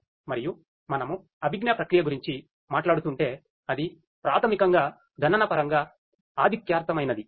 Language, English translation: Telugu, And if we are talking about cognitive processing that basically is computationally intensive